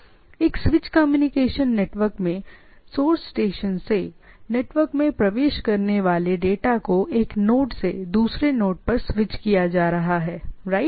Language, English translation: Hindi, So, in a switch communication network the data entering the network from the source station are routed to the destination via being switched from one node to another, right